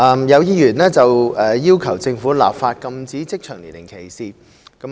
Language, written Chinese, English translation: Cantonese, 有議員要求政府立法禁止職場年齡歧視。, Some Members have requested the Government to enact legislation against age discrimination in the workplace